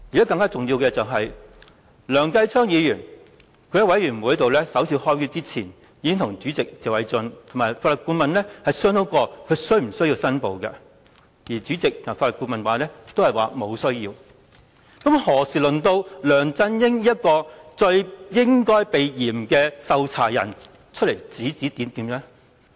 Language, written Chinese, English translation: Cantonese, 更重要的是，在專責委員會舉行首次會議前，梁繼昌議員已經與主席謝偉俊議員及法律顧問商討是否有需要申報，而主席及法律顧問均表示沒有需要，那試問何時輪到梁振英這個最應該避嫌的受查人出來指指點點？, More important still before the first meeting of the Select Committee was conducted Mr Kenneth LEUNG had discussed with Chairman Mr Paul TSE and the Legal Adviser whether he was required to make declaration and their reply was in the negative . So how come LEUNG Chun - ying has the guts to make comments when he being the subject of inquiry should be the one to avoid arousing suspicion?